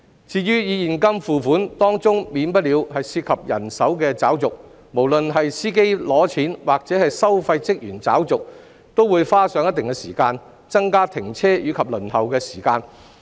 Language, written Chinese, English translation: Cantonese, 至於以現金付款，當中免不了涉及人手找續，無論是司機拿錢或收費員找續，都會花上一定時間，增加停車及輪候時間。, As for toll payment by cash this will unavoidably involve cash - changing and will take considerable time either for motorists to pay the tolls or for toll collectors to return the change thus increasing the time spent by motorists for stopping and waiting